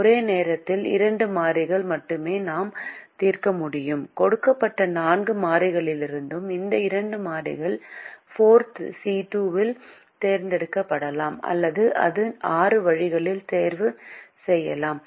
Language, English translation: Tamil, since we have four variables and two equations, we can only solve for two variables at a time, and these two variables from four given variables can be chosen in four c two, or it can be chosen in six ways